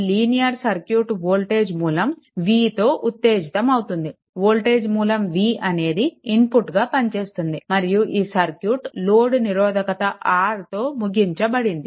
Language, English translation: Telugu, So, in this case the linear circuit is excited by voltage source v, I told you here in voltage source v which serves as the input and the circuit is a terminated by load resistance R